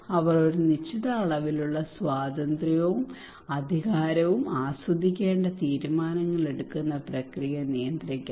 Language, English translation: Malayalam, They should control the decision making process they should enjoy certain amount of freedom and power